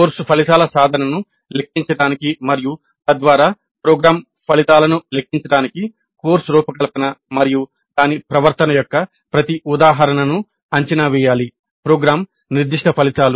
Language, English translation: Telugu, Every instance of course design and its conduct should be evaluated to compute attainment of course outcomes and thereby program outcomes, program specific outcomes